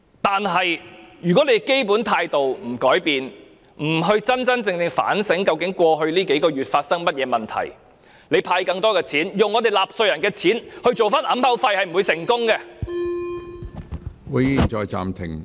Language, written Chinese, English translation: Cantonese, 不過，如果政府不改變基本態度，不真正反省過去數個月間發生的問題，即使用納稅人的錢派發更多錢作為掩口費，也不會成功。, But if the Government refuses to change its fundamental attitude and truly reflect on the problems that have occurred over the past few months it will not succeed in stopping us from voicing our demands even if it hands out more cash with taxpayers money